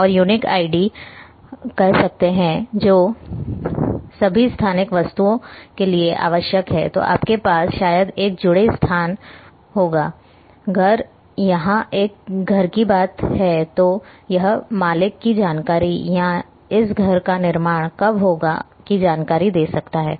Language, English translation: Hindi, And can have say unique id which is essential for all spatial objects then you will have a maybe the z location, maybe the owner if it is a information about the house maybe the owner when it was constructed and so on and so forth